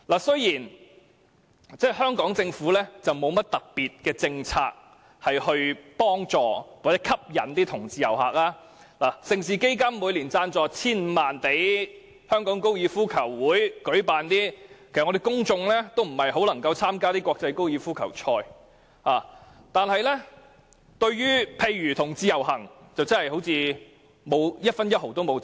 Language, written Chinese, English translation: Cantonese, 雖然香港政府沒有甚麼特別政策幫助吸引同志遊客，盛事基金每年雖然撥出 1,500 萬元贊助香港高爾夫球會舉辦活動，但沒有多少人能參與這些國際高爾夫球賽，而對同志遊行，政府更沒有贊助過一分一毫。, Although the Hong Kong Government has never adopted any special policies to attract LGBT tourists Hong Kong can still be benefited from LGBT tourism . On the other hand the Mega Events Fund allocates 15 million each year to sponsor the activities held by the Hong Kong Golf Club such as the international golf tournaments but how many people can participate in the event? . The Government has never allocated a cent to sponsor the LGBT parades